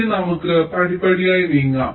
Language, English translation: Malayalam, ok, now let us moves step by step